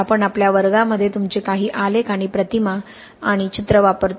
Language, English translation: Marathi, We use some of your graphs and images and pictures in our classes